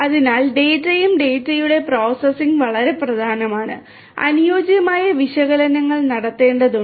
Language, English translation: Malayalam, So, data and the processing of the data again is very important and suitable analytics will have to be performed